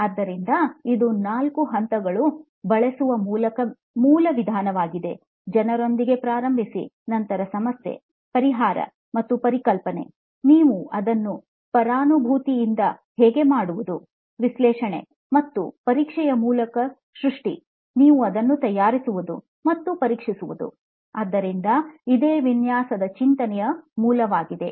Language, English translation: Kannada, So this is the basic methodology of using 4 steps, start with people, then the problem, solution and a concept, how you do is through empathy, analysis, creation and testing, you can make it and test it, so that is what is the basic of designing thinking